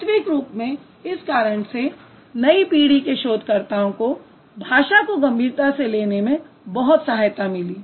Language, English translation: Hindi, That actually helped the new generation researchers to take language in a more serious way